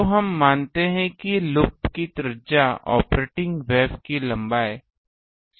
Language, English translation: Hindi, So, we assume that r naught the radius of the loop is much less than the much much less than the operating wave length